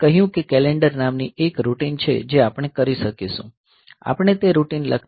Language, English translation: Gujarati, So, I said that there is a routine called calendar which we will be able to do that; so we are not writing that routine